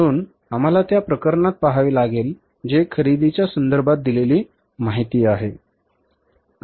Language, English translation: Marathi, So, we have to look at the case that what is the information given with regard to the purchases